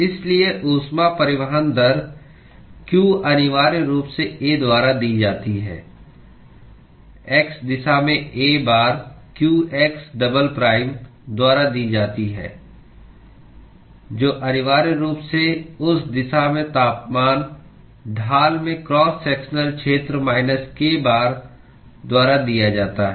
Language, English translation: Hindi, So, therefore, the heat transport rate q is essentially given by A times, in the x direction is given by A times qx double prime, which is essentially given by minus k times the cross sectional area into the temperature gradient in that direction